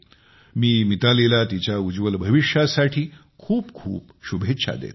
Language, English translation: Marathi, I wish Mithali all the very best for her future